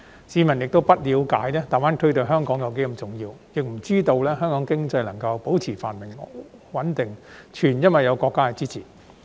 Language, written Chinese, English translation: Cantonese, 市民不了解大灣區對香港多麼重要，也不知道香港經濟能夠保持繁榮穩定是全因有國家支持。, Members of the public neither understand how important GBA is to Hong Kong nor they know it is all because of the countrys support that the Hong Kong economy is able to maintain prosperous and stable